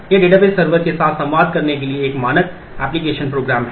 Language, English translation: Hindi, It is a standard application program to communicate with database server